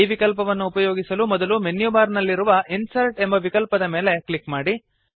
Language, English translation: Kannada, To access this option, first click on the Insert option in the menu bar